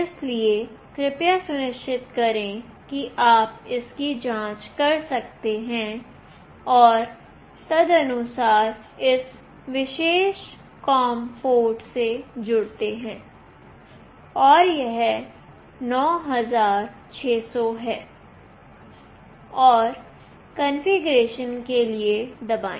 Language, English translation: Hindi, So, please make sure you check that and accordingly connect to that particular com port, and this is 9600 and press for the configuration